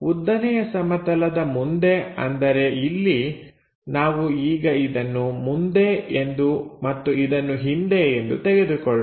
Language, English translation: Kannada, So, in front of vertical plane is this is let us make it in front and this is behind